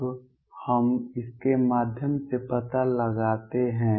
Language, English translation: Hindi, Now through this we find out